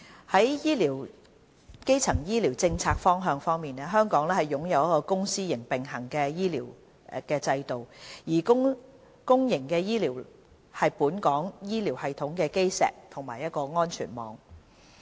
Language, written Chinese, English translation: Cantonese, 在基層醫療政策方向方面，香港擁有一個公私營並行的醫療制度，而公營醫療是本港醫療系統的基石和安全網。, In respect of primary health care policies Hong Kong has a twin - track health care system with the public sector being the cornerstone providing the safety net for all